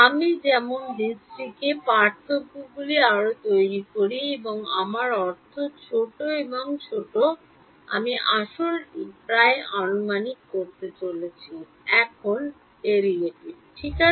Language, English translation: Bengali, As I make the dis the differences more and I mean smaller and smaller I am going to approximate the actual derivative right